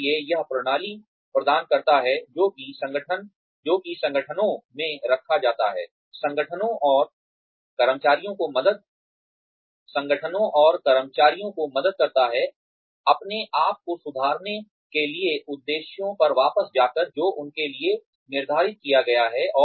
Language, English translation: Hindi, So, it provides the system, that is put in place, helps organizations and employees, sort of improve themselves, by going back to the objectives, that have been set for them